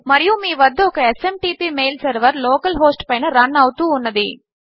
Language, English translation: Telugu, And you will have a SMTP mail server running under local host